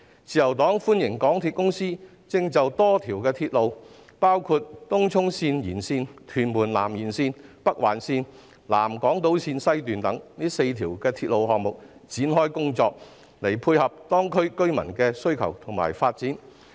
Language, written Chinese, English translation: Cantonese, 自由黨歡迎港鐵公司就多條鐵路，包括東涌綫延綫、屯門南延綫、北環綫及南港島綫西段4條鐵路的項目展開工作，以配合當區居民的需求及發展。, The Liberal Party welcomes the work launched by MTRCL on various rail lines including the four projects on the Tung Chung Extension Tuen Mun South Extension Northern Link and South Island Line West to cater for the residents demand and the development of the districts